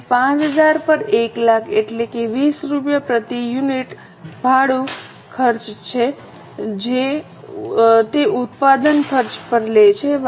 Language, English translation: Gujarati, So, 1 lakh upon 5,000 means 20 rupees per unit is a rent cost which is charged on the production cost